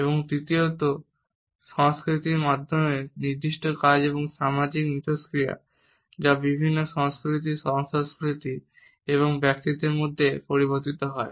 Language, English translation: Bengali, And thirdly, through culture is specific tasks and social interactions that do vary across cultures, co cultures and individuals